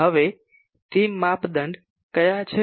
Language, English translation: Gujarati, Now, what are those criteria’s